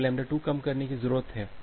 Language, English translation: Hindi, So, lambda 2 needs to be decreased